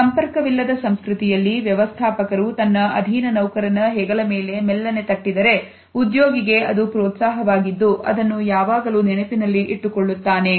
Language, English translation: Kannada, In a non contact culture if a manager gives a pat on the shoulder of a subordinate employee, for the employee it is an encouragement which would always be remembered